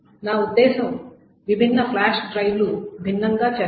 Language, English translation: Telugu, I mean different flash drives will do different